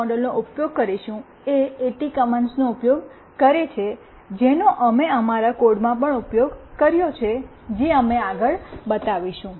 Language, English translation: Gujarati, The GSM modem that we will be using use AT commands, which we have also used in our code when we show you next